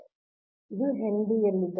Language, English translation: Kannada, so it is in henry